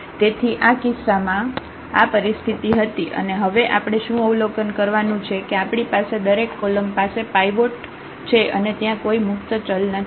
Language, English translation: Gujarati, So, in that case this was a situation and what we observe now for this case that we have the every column has a pivot and there is no free variable